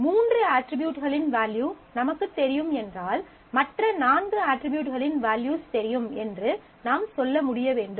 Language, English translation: Tamil, So, I know the value of three attributes, I should be able to say that the values of the other four attributes would be fixed